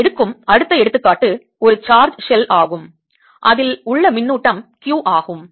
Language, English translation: Tamil, the next example i take is that of a charge shell on which there's a charge q